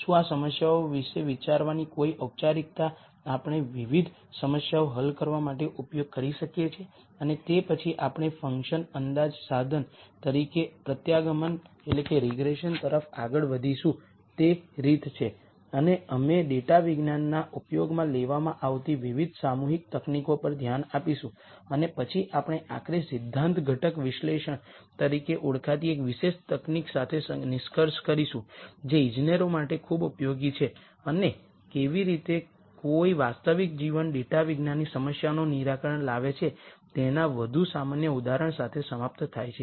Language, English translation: Gujarati, Is there some formal way of thinking about these problems; that we can use to solve a variety of problems and then we will move on to regression as a function approximation tool and we will look at different clustering techniques that are used in data science and then we will nally conclude with one particular technique called principle component analysis which is very useful for engineers and end with more general example of how one solves real life data science problems